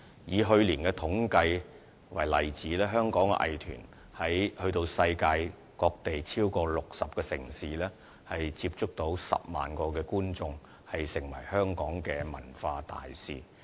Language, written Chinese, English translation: Cantonese, 以去年的統計數字為例，香港藝團前往了世界各地超過60個城市，接觸到10萬名觀眾，成為香港的文化大使。, For example as shown in last years statistics Hong Kong arts groups had travelled to more than 60 cities in the world getting in touch with an audience of 100 000 people . In other words they had been the cultural ambassadors of Hong Kong